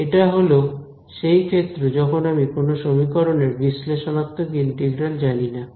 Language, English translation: Bengali, It is the case where I do not know the analytical integral of an equation ok, that is the first thing